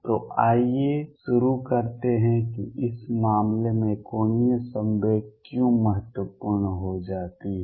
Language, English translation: Hindi, So, let us begin as to why angular momentum becomes important in this case